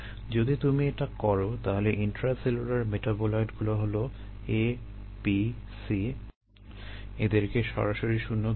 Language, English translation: Bengali, if we do that, then the intracellular metabolite sorry, abc, they can be directly put to zero